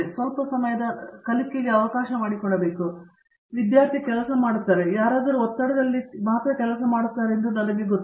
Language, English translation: Kannada, He have to allow the time for a little bit of learning, I know that student will work or for that matter anybody will work only under pressure